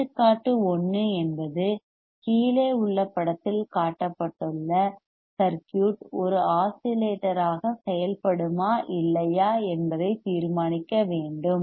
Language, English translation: Tamil, Example 1 is determine whether the circuit shown in figure below will work as an oscillator or not